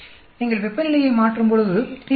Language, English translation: Tamil, I am changing temperature and pH